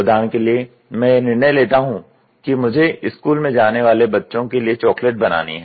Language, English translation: Hindi, For example, you decide that I would like to make chocolates for school going kids